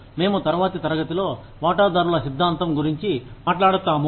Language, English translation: Telugu, We will talk about, the stakeholder theory, in the next class